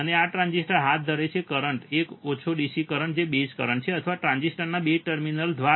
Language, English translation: Gujarati, And this transistors conduct, the current a small DC current which are the base currents or through the base terminals of the transistors